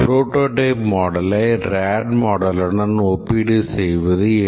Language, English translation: Tamil, It's easy to compare prototyping with the RAD model